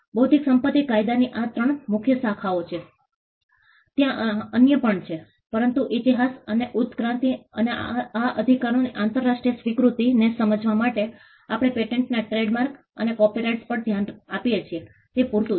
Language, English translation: Gujarati, These are the three major branches of intellectual property law there are others as well, but to understand the history and the evolution and the international acceptance of these rights it is sufficient that we look at patent’s trademarks and copyrights